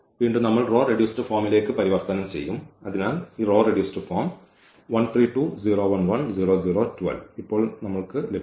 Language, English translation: Malayalam, And again, we will convert into the row reduced form, so we got this row reduced form now